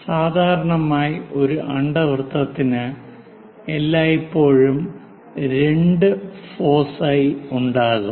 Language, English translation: Malayalam, Usually, for ellipse, there always be 2 foci